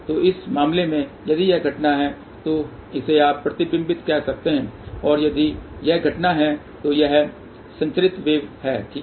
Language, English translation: Hindi, So, in this case if this is incident this is you can say reflected and if this is incident this can be transmitted wave, ok